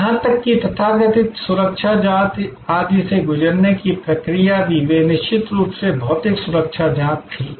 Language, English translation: Hindi, Even the process of going through the so called security check, etc, they were of course, the physical security check was there